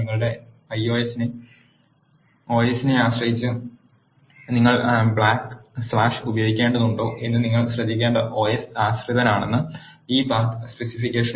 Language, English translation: Malayalam, This path specification is the os dependent you have to take care of whether you need to use backslash are slash operator depending upon your OS